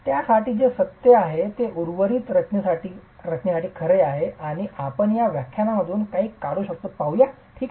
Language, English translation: Marathi, What is true for that is then true for the rest of the structure and let's see if we can deduce something out of this exercise